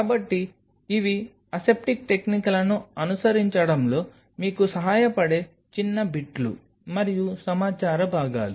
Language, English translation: Telugu, So, these are a small bits and pieces of information’s which will help you to follow the aseptic techniques